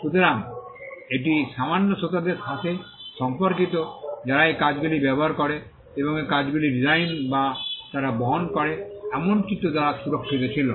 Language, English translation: Bengali, So, it pertained to a small audience who use these works and these works were anyway protected by the design or by the illustrations that they carry